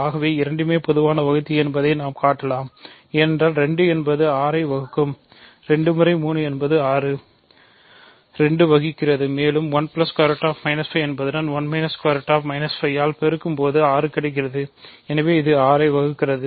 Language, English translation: Tamil, So, one can show that both are common divisor that is because 2 certainly divides 6, 2 times 3, 6, 2 also divides this 2 times 1 plus square root minus 5 is 6